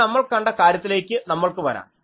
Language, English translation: Malayalam, Now, let us come to the point that we have seen